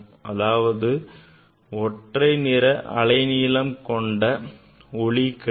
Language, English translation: Tamil, That means, it has fixed wavelength